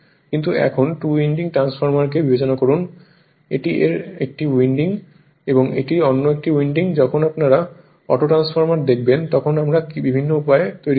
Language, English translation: Bengali, But when you consider two winding transformer as if this is 1 winding and this is another winding, when you see the autotransformer we will make in different way right